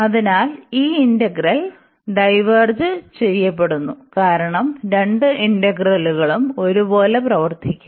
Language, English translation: Malayalam, So, this integral diverges and since both the integrals will behave the same